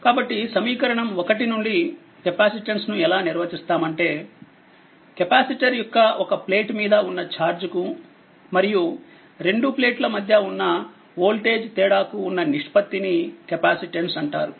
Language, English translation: Telugu, So, from equation 1, one may we may define that capacitance is the ratio of the charge on one plate of a capacitor to the voltage difference between the two plates right